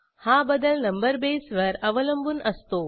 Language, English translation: Marathi, The conversion depends on this number base